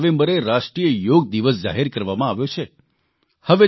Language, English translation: Gujarati, There, the 4th of November has been declared as National Yoga Day